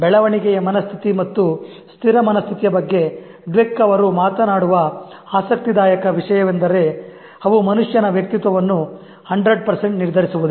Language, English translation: Kannada, The interesting thing that Dweck talks about is that fixed mindset and growth mindset will not 100% determine the personality of a human being